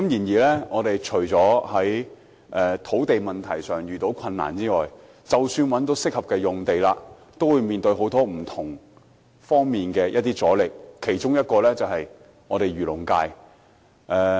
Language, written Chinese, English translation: Cantonese, 政府在土地問題上遇到很大困難，而即使找到合適用地，亦面對各方面的阻力，其中之一來自漁農界。, Speaking of the land problem the Government faces tremendous difficulty in the sense that even if it identifies a suitable land it faces resistance from various sides including the fisheries and agriculture sector